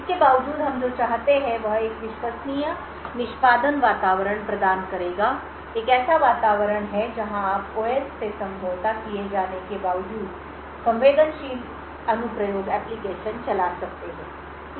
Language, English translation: Hindi, In spite of this what we want is a Trusted Execution Environment would provide is an environment where you can run sensitive applications in spite of OS being compromised